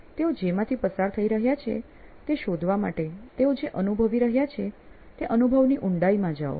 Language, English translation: Gujarati, Go into the depths of experience what they are experiencing to find out what they are going through